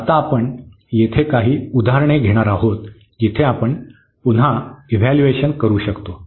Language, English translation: Marathi, So, now, we will take some example here where we can evaluate just again a remarks